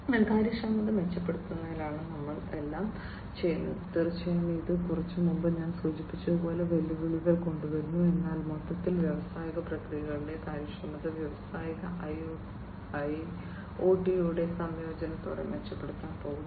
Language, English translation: Malayalam, So, we are doing everything in order to improve upon the efficiency, of course that brings in challenges like the ones that I just mentioned a while back, but overall the efficiency in the industrial processes are going to be improved with the incorporation of industrial IoT